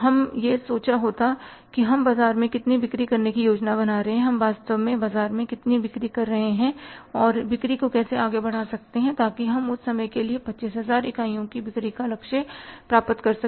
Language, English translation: Hindi, We could have thought of that how much we are planning to sell in the market, how much we are actually selling in the market and how to push up the sales so that we can achieve the target of selling 25,000 units for that given time horizon